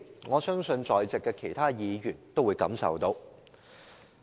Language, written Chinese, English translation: Cantonese, 我相信在席其他議員皆感受得到。, I believe other Members present here also have this feeling